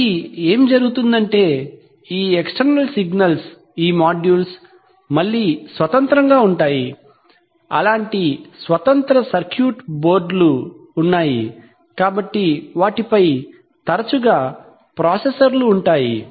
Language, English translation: Telugu, So what happens is that these external signals are, these modules are again self independent, there are such independent circuit boards, so they often have processors on them